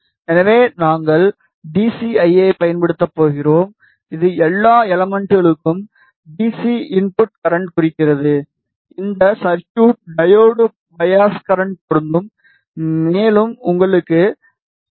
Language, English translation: Tamil, So, we are going to use DCIA which is annotate DC input current for all elements the circuit is diode bias current apply, and you have DCVA apply